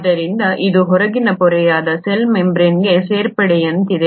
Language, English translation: Kannada, So it is like an addition to the cell membrane which is the outermost membrane